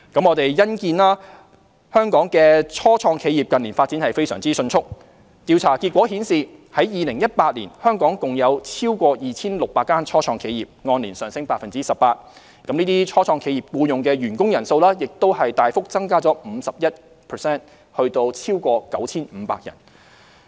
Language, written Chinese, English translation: Cantonese, 我們欣見香港的初創企業近年發展非常迅速，調查結果顯示，在2018年，香港共有超過 2,600 間初創企業，按年上升 18%， 這些初創企業僱用的員工人數，亦大幅增加了 51% 至超過 9,500 人。, We are pleased to see that Hong Kongs start - ups have developed very rapidly in recent years . Survey results show that there were more than 2 600 start - ups in Hong Kong in 2018 representing a year - on - year increase of 18 % . The employees employed by these start - ups also substantially increased by 51 % to more than 9 500 people